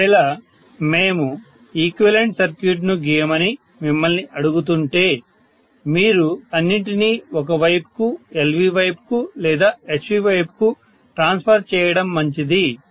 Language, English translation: Telugu, So if we are asking you to draw the equivalent circuit, you better transport everything to one side, either LV side or HV side, okay